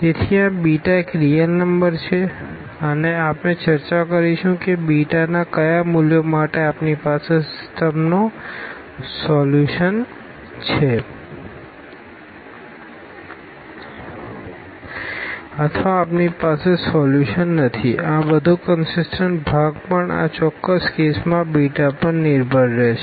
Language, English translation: Gujarati, So, this beta is a real number and we will discuss that for what values of beta we have the solution of the system or we do not have the solution all these consistency part will also depend on beta in this particular case, ok